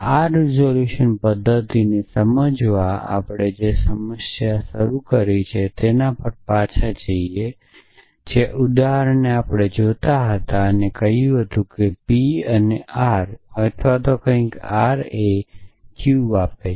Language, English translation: Gujarati, So, to motivate this resolution method let us go back to the problem that we have started with the example that we looking at which said that P and R or something like that R replies Q